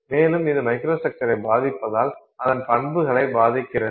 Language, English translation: Tamil, And because it affects the microstructure, it affects properties